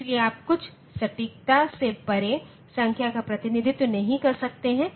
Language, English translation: Hindi, So, you cannot represent the number beyond some accuracy